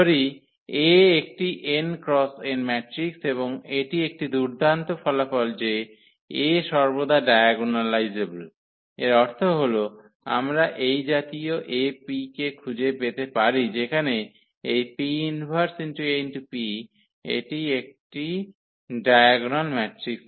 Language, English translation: Bengali, So, let A be an n cross n matrix and that is a nice result that A is always diagonalizable; that means, we can find such A P such that this P inverse AP is a diagonal matrix